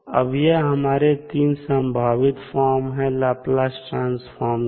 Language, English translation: Hindi, Now, there are three possible forms of the trans, the Laplace transform